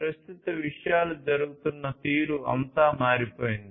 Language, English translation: Telugu, Everything has changed the way things are happening at present